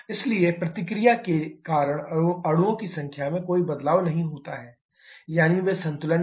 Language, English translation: Hindi, So because of the reaction there is no change in the number of molecules are there in balance